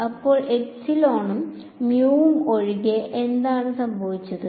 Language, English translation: Malayalam, So, apart from epsilon and mu what is the other change that happened